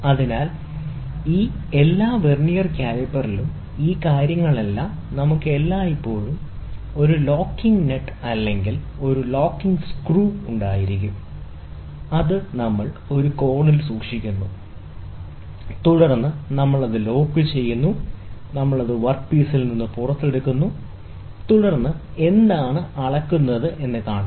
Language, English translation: Malayalam, So, in all these Vernier caliper, all these things we will always have a locking nut or locking screw, which we keep it at an angle, and then we lock it, and then we pull it out from the work piece, and then see what is the measurement